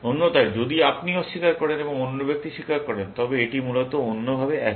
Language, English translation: Bengali, Otherwise, if you use deny, and the other person confesses, it is the other way alone, essentially